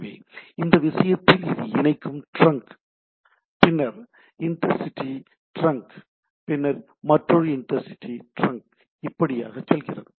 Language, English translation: Tamil, So, in this case it is connecting trunk, then intercity trunk and then another connecting trunk and going on the things